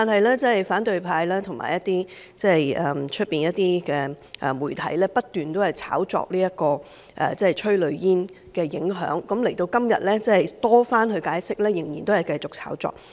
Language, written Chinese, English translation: Cantonese, 可是，反對派和外面部分媒體不斷炒作催淚煙的影響，直至今天，即使政府已多番解釋，他們仍然繼續炒作。, However the opposition camp and some of the media outside keep playing up the impact of tear gas and to date despite the repeated explanation of the Government they continue to play up the case